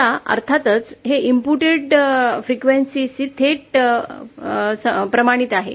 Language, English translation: Marathi, Now this of course is related to the, is directly proportional to the frequency of input